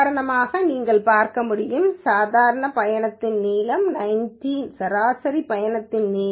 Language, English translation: Tamil, You can actually see, for example, mean trip length is 19